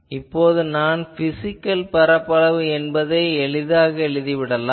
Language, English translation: Tamil, So, now you see I can easily tell that what is my physical area